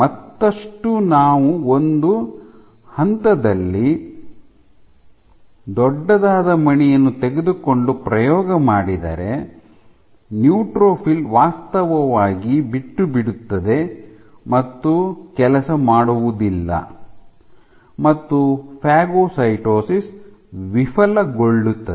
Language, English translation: Kannada, and experiments have been done where if you take a bead which is huge at some point the neutrophil actually gives up, your phagocytosis fails